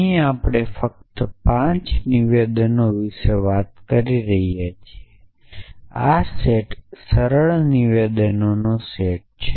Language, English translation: Gujarati, We just talking about the 5 statements speak you are a steep then this set will be simple set of statement